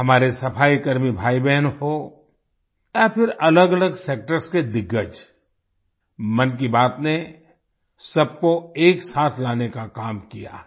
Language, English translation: Hindi, Be it sanitation personnel brothers and sisters or veterans from myriad sectors, 'Mann Ki Baat' has striven to bring everyone together